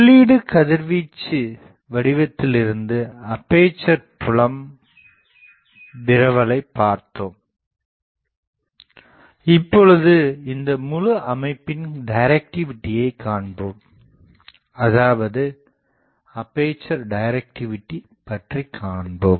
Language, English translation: Tamil, We have seen the aperture field distribution from the feeds radiation pattern, now we will see the directivity of the this whole system; that means, aperture directivity